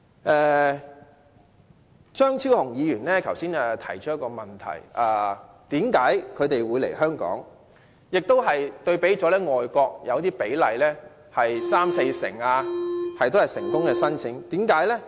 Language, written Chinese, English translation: Cantonese, 剛才張超雄議員提到一個問題，便是為甚麼他們會來香港——他拿外國的比例作比較，例如成功申請比率有三四成的——為甚麼呢？, Dr Fernando CHEUNG has touched on a point just now that is why they would have come to Hong Kong―he made a comparison with the percentages of overseas places for example the percentage of successful applications is somewhere between 30 % and 40 % ―why?